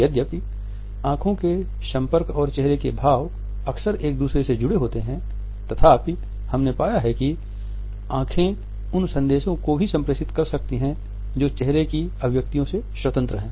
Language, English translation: Hindi, Although eye contact and facial expressions are often linked together we have found that eyes can also communicate message which is independent of any other facial expression